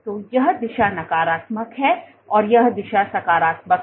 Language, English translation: Hindi, So, this direction is negative this direction is positive